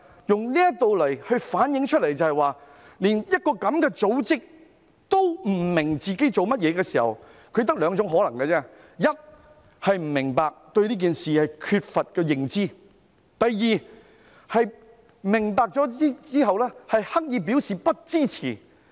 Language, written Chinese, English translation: Cantonese, 這件事反映出，連這樣的一個組織也不明白自己做甚麼，原因就只有兩種可能，第一，不明白，對這件事缺乏認知；第二，明白後刻意表示不支持。, This incident shows that even such an organization does not understand what it is doing and there are only two possible reasons . Firstly it lacks understanding of the matter; secondly it has gained understanding and then deliberately expresses its disapproval